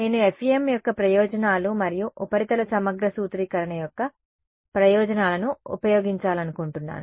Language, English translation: Telugu, Is I want to make use of the advantages of FEM and the advantages of surface integral formulation